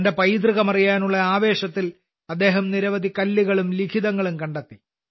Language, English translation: Malayalam, In his passion to know his heritage, he found many stones and inscriptions